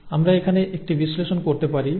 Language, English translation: Bengali, Similarly we can do an analysis here